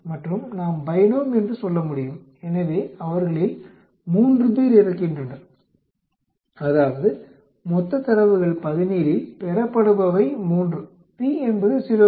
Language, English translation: Tamil, And we can say binom, So, 3 of them die, that is 3 observed out of the total data of 17, p is 0